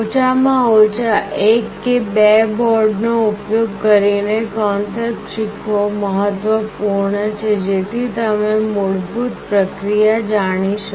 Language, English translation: Gujarati, It is important to learn the concept using at least one or two boards, such that you know the basic process